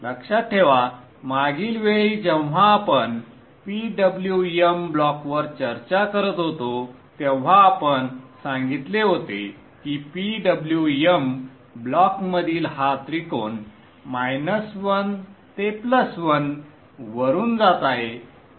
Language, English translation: Marathi, Remember last time when we were discussing the PWM block we said that this triangle within the PWM block is transiting from minus 1 to plus 1